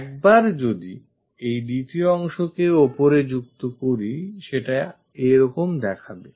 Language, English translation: Bengali, Once we attach this second part on top of that it looks like that